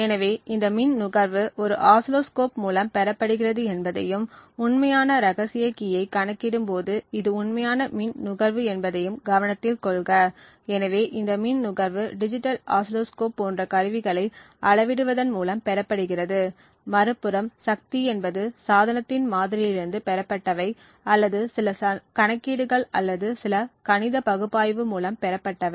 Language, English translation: Tamil, So note that this power consumption is obtained from an oscilloscope and it is the real power consumption when the actual secret key is being computed upon, so this power consumption is obtained by measuring instruments such as a digital oscilloscope, while on the other hand the power obtained from the model of the device is obtained just by some calculations or just by some mathematical analysis